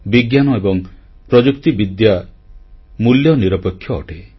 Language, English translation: Odia, Science and Technology are value neutral